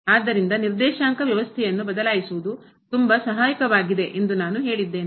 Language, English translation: Kannada, So, that that is what I said that thus changing the coordinate system is very helpful